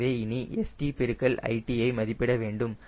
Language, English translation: Tamil, you now need to estimate st into lt